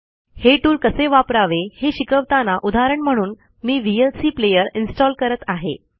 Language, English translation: Marathi, To learn how to use this tool, I shall now install the vlc player as an example